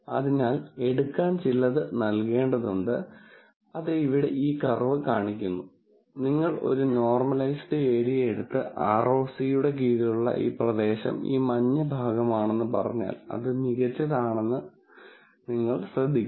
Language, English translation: Malayalam, So, there has to be some give take and that given take is what is shown by this curve right here and if you take a normalized area and then say this area under ROC is this yellow portion, then you would notice that better and better ROC curves are things like this